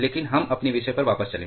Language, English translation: Hindi, But let us go back to our topic